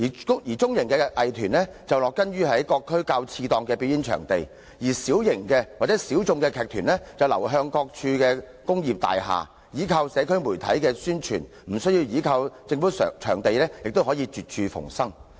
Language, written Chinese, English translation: Cantonese, 至於中型藝團則植根於各區較次檔表演場地，小型及小眾藝團則流向各區工業大廈，依靠社交媒體的宣傳，無需依靠政府場地亦可絕處逢生。, Medium arts groups performed mainly in lower - end performing venues in various districts and smallminority arts groups established themselves in industrial buildings located in different districts and with the help of social media for publicity they managed to survive amidst difficulties without depending on government venues